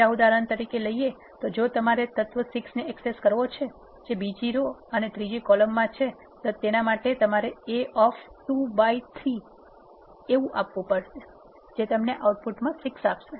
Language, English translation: Gujarati, And for example, if you want to access this element 6 you have to say it is in the second row and the third column you have to say A of 2 comma 3 it is give an output 6